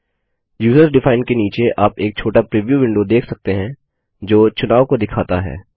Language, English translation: Hindi, Under User defined, you can see a small preview window which displays the selection